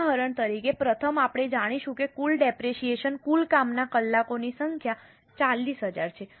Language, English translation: Gujarati, For example, firstly we will we know that the total depreciation, total number of working hours are 40,000